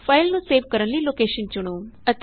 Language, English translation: Punjabi, Choose the location to save the file